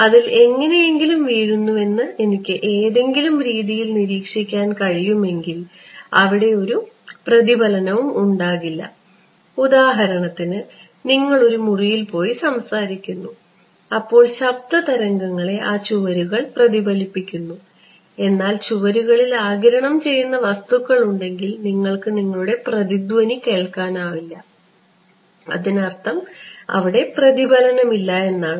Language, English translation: Malayalam, If I can somehow observe what falls on it there will be no reflection right I mean this simple example if you go to a room and you speak the walls reflect, but if the walls had some absorbing material you will not be able to hear your echo that means there is no reflection